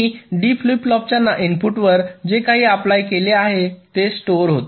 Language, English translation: Marathi, so whatever i have applied to the input of the d flip flop, that gets stored